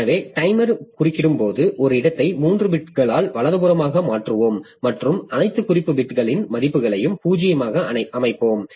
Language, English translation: Tamil, So, when the timer interrupts, we shift to the right by one place the three bits and set the values of all the all reference bits to zero